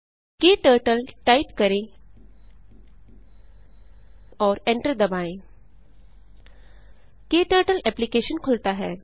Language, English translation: Hindi, Type KTurtle and press enter, KTurtle Application opens